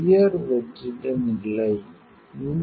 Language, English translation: Tamil, High vacuum condition